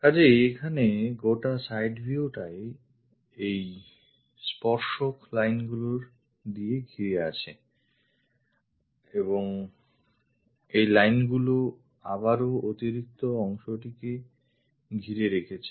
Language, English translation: Bengali, So, here the entire side view is bounded by these tangent lines and these lines are again bounding this extra portion